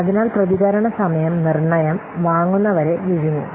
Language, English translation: Malayalam, So response time deteriorate the purchasers